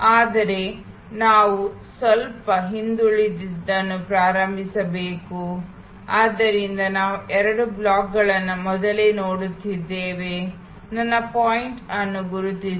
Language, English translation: Kannada, But, we have to start a little backward, so we have been actually looking at these two blocks earlier, mark my pointer